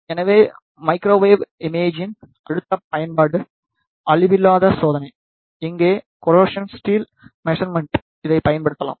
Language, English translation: Tamil, So, in next application of the microwave imaging is non destructive testing, here it can be used to do the measurement of corrosion in the steel bar